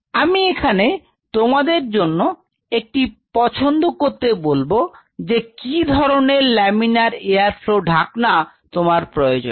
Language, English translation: Bengali, So, I will leave it up to your choice how and what kind of laminar flow hood you want